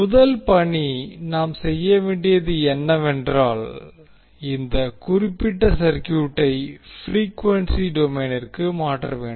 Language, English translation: Tamil, So the first task, what we have to do is that we have to convert this particular circuit into frequency domain